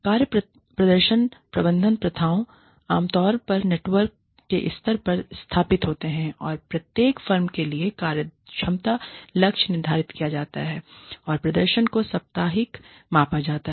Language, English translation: Hindi, Performance management practices, are generally established, at the level of the network, with efficiency target set for each firm, and performance is measured, weekly